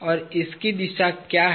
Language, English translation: Hindi, And, what is the direction of this